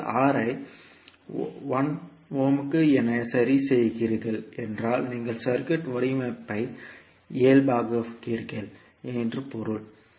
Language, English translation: Tamil, Because you are fixing R as 1 ohm means you are normalizing the design of the circuit